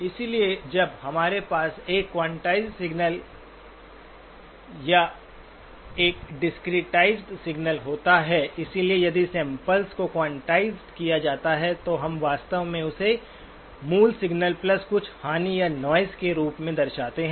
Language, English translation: Hindi, So when we have a quantized signal or a discretized signal, so if the samples are quantized, then we actually represent it in terms of the original signal plus some impairment or noise